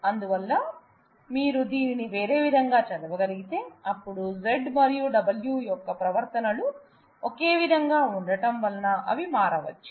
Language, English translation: Telugu, So, you can you can naturally if you read it in little in a different way, then you can observe that since the behavior of Z and W are identical they are switchable